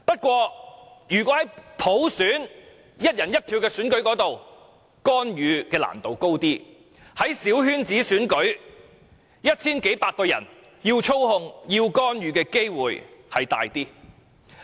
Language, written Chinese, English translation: Cantonese, 然而，如果是"一人一票"的普選，要干預較難，但如果是小圈子選舉，只有一千數百名選委，要操控和干預的機會便較大。, Yet the implementation of universal suffrage by one person one vote will certainly make intervention more difficult . For small - circle elections with only 1 000 - odd electors the chance of manipulation and intervention is much higher